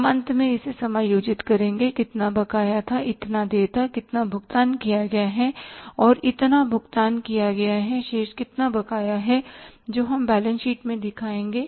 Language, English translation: Hindi, We will adjust this finally how much was due this much was due, how much is paid that much is paid, how much is the balance will be outstanding that we will show in the balance sheet